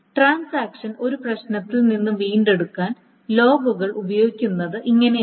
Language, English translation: Malayalam, So this is essentially how the logs are used to recover from a problem in the transaction